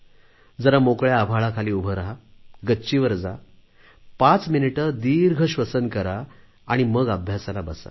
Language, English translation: Marathi, Just be under the open sky, go to the roof top, do deep breathing for five minutes and return to your studies